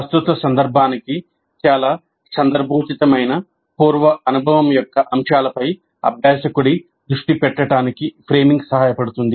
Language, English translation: Telugu, Framing helps in making learner focus on the elements of prior experience that are most relevant to the present context